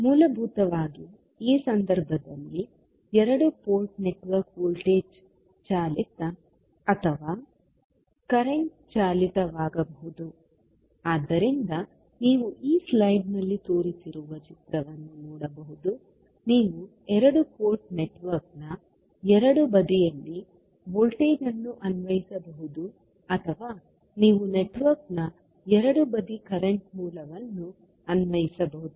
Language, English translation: Kannada, So basically the two port network in this case also can be the voltage driven or current driven, so you can see the figure shown in this slide that you can either apply voltage at both side of the two port network or you can apply current source at both side of the network